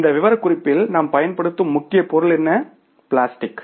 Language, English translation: Tamil, In this specs, what is the major material we are using the plastic